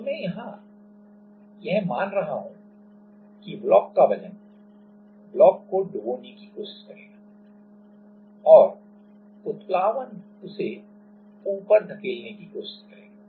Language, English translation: Hindi, So, what I am considering here that the weight of the block that will try to make the block sink and buoyancy will try to push it up